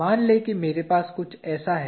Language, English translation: Hindi, Let us say I have something like this